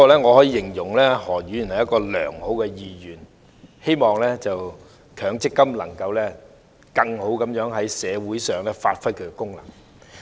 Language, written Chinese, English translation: Cantonese, 我可以形容何議員是良好的議員，他希望強制性公積金制度可以更好地在社會上發揮其功能。, I can tell Dr HO is a good man because he hopes that the Mandatory Provident Fund MPF System can play its function better in society